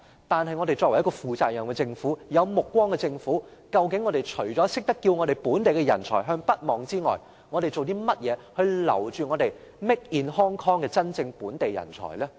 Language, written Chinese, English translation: Cantonese, 作為一個負責任和有目光的政府，究竟我們除了懂得叫本地人才向北望之外，我們做了甚麼來留住 "Made in Hong Kong" 的真正本地人才呢？, As a responsible Government with foresight instead of urging local talents to look for development opportunities in the North what has it done to retain local talents Made in Hong Kong?